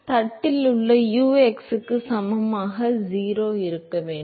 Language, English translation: Tamil, So, therefore, u at x equal to 0 inside the plate has to be 0